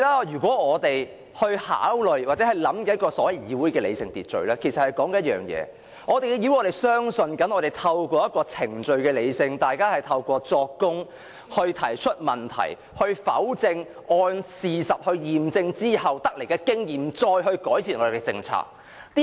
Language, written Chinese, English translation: Cantonese, 因此，當我們說議會的理性秩序，其實是指一件事。在議會，我們相信透過一個理性的程序，經過作供、提問、去否證及按事實驗證，把所得經驗用於改善我們的政策。, Therefore we are actually referring to one thing when talking about the rational order in a legislature that is in this Council we trust in a rational process that comprises procedures of giving evidence questioning disproving and verification of fact and apply what we have learned therefrom to improve our policies